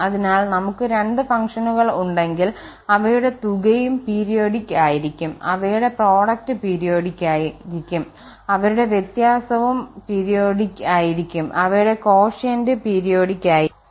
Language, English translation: Malayalam, So, if we have two functions there sum will be also periodic, their product will be also periodic, their difference will be also periodic, their quotient will be also periodic